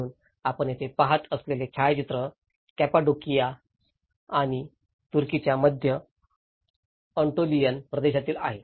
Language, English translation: Marathi, So, the picture which you are seeing here is in the Cappadocia and also the central Antolian region of Turkey